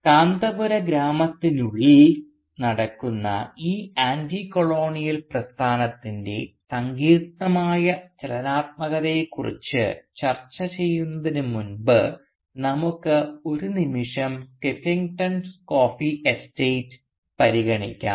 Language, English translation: Malayalam, But before we discuss the complex dynamics of this Anticolonial movement that happens within the village of Kanthapura, let us for a moment consider the Skeffington coffee estate